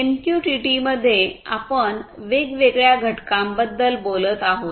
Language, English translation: Marathi, In MQTT we are talking about different components